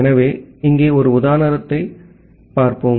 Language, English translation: Tamil, So, let us see one example here